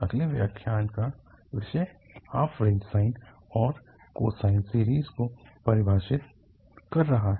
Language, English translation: Hindi, The topic of the next lecture is the defining the half range sine and cosine series